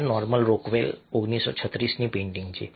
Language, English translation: Gujarati, painting by norman rockwell, nineteen thirty six